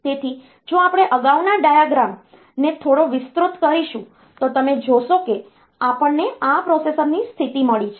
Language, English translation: Gujarati, So, if we expand the previous diagram a bit then you will see that we have got a situation where this processor